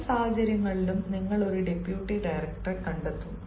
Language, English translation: Malayalam, in both the situations you will find deputy director